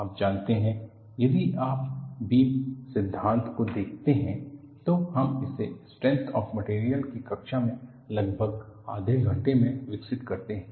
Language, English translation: Hindi, You know, if you look at beam theory, we develop it in about half an hour in a class of strength of materials